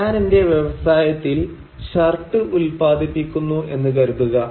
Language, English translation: Malayalam, Let us suppose that I am producing shirts in my industry